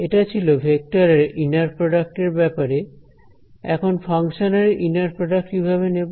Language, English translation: Bengali, Now so, this is about inner product of vectors, how about inner product of functions, how do we take inner products of functions